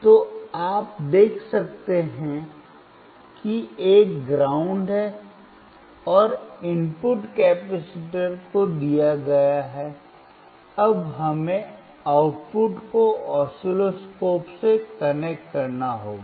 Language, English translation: Hindi, So, you can see one is ground, and the input is given to the capacitor, now we have to connect the output to the oscilloscope